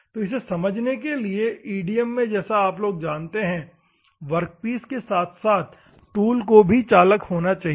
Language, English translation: Hindi, So, just for your understanding what I mean to say, in EDM, you know that both workpiece, as well as the tool, should be conductive